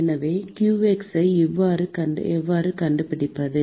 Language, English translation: Tamil, So, how do we find qx